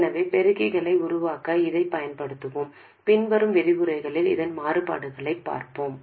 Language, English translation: Tamil, So, we will use this to make amplifiers, we will see variants of this in the following lectures